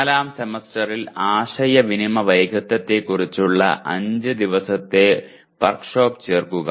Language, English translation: Malayalam, Add in the fourth semester a 5 day workshop on communication skills